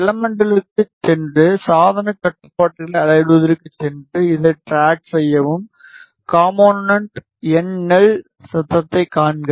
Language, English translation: Tamil, Go to elements, go to measuring devices controls and so drag this, see the component NL noise